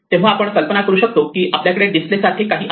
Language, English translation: Marathi, So we can imagine that we have some kind of a display